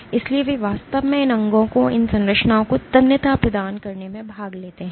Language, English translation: Hindi, So, they actually participate in providing tensile strength to these structures, to these organs